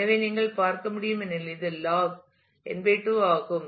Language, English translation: Tamil, So, as you can see this is log to the base n /2